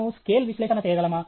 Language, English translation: Telugu, Can we do scale analysis